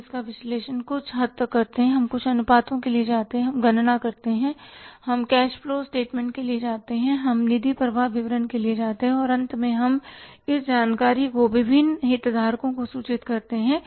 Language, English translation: Hindi, We analyze it also to some extent we go for certain ratios we calculate, we go for cash flow statement, we go for the fund flow statement and finally we report this information to the different stakeholders